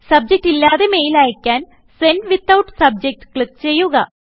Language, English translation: Malayalam, To send the mail without a Subject Line, you can click on Send Without Subject